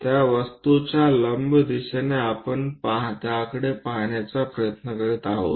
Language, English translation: Marathi, In the perpendicular direction to that object we are trying to look at